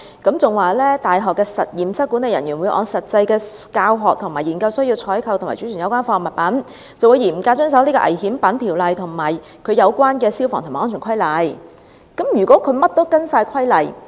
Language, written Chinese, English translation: Cantonese, 大學的實驗室管理人員會按實際的教學和研究需要採購及貯存有關化學物品，並會嚴格遵守《條例》及其他有關的消防及安全規例。, The laboratory management staff of the universities will procure and store the chemicals in accordance with actual teaching and research needs and strictly observe DGO and other relevant fire safety regulations